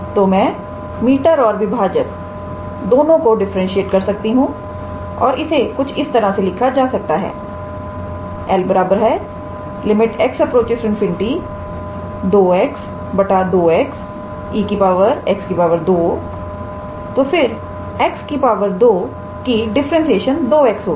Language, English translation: Hindi, So, I can differentiate both numerator and denominator and this will be written as 2 x divided by e to the power x square, then differentiation of x square would be 2 x